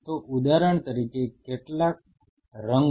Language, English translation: Gujarati, So, say for example, how many colors